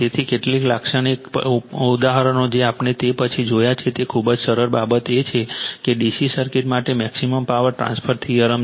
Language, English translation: Gujarati, So, some typical examples we have seen after that very simple thing it is that is the maximum power transfer theorem for D C circuit we have seen